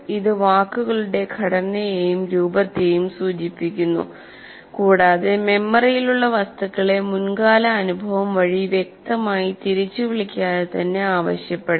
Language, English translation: Malayalam, It refers to the structure and form of words and objects in memory that can be prompted by prior experience without explicit recall